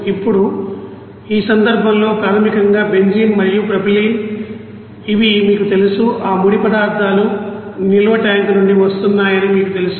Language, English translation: Telugu, Now in this case basically these you know benzene and you know propylene those raw materials are coming from the storage tank